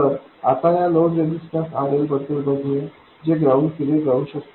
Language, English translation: Marathi, So, let me take the load resistor, RL, which could be grounded